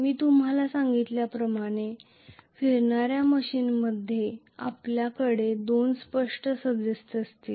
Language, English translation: Marathi, So, in a rotating machine as I told you we will have very clearly two members